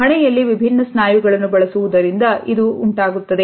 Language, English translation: Kannada, Now, this is caused by using different muscles in the forehead